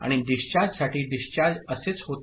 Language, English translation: Marathi, And for discharge, discharge happens like this